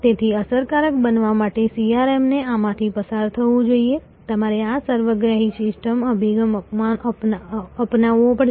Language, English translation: Gujarati, So, CRM to be effective must go through this, you have to take this holistic systems approach